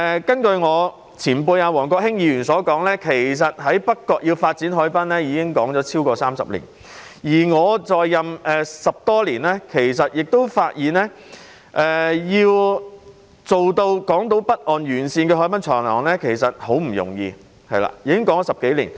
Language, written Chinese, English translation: Cantonese, 根據我的前輩王國興前議員所說，發展北角海濱之事已討論了超過30年，而我在任10多年，亦發現要在港島北岸沿線發展海濱長廊，其實十分不容易，已討論了10多年。, According to my predecessor former Member Mr WONG Kwok - hing the development of the waterfront in North Point has been discussed for more than 30 years . Having been in office for some 10 years I also found it by no means easy to develop a promenade along the northern shore of Hong Kong Island which has been discussed for more than 10 years